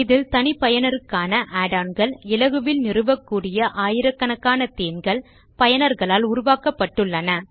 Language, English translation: Tamil, And it offers customization by ways of add ons and thousands of easy to install themes created by users